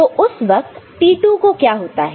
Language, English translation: Hindi, What happens at the time to T2